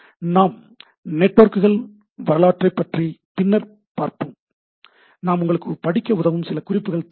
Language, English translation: Tamil, So, we will come to this history of networks subsequently, I will just give you some references which will be good for you to refer